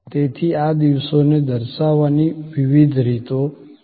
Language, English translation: Gujarati, So, there are different ways of depicting these days